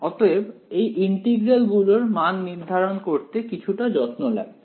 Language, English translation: Bengali, So, evaluating these integrals requires some little bit of care ok